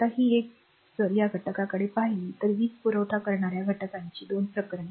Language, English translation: Marathi, Now this one now this one if you look that 2 cases of an element with a supplying of power